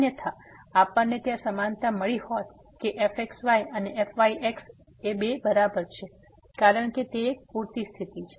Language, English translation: Gujarati, Otherwise we would have got the equality there that is equal to , because that is a sufficient condition